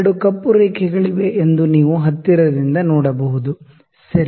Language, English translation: Kannada, You can see closely that there 2 black lines, ok